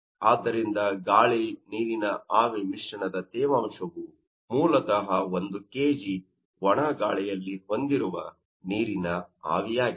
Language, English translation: Kannada, So, the humidity of an air water vapour mixture is basically the water vapor is carried by 1 kg of dry air